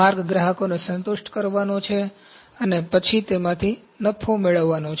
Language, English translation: Gujarati, The way is to satisfy the customers then to earn profit out of that